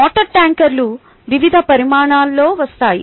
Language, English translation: Telugu, the water tankers come in various sizes